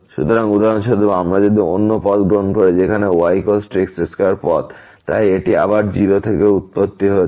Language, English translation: Bengali, So, for example, if we take another path where is equal to square path so, this is again going to 0 to origin